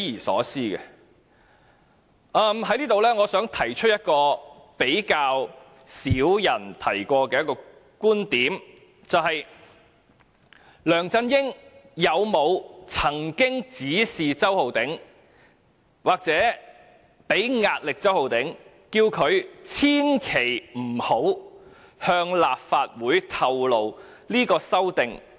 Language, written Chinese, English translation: Cantonese, 我還想提出一個較少人提過的觀點，便是梁振英有沒有指示周浩鼎議員或向周浩鼎議員施壓，叫他千萬不要向立法會透露是他提出修訂的？, I would also like to make one point that has rarely been mentioned by other people ie . has LEUNG Chun - ying instructed Mr Holden CHOW or pressurized Mr Holden CHOW not to disclose to the Legislative Council that the amendments are made by him?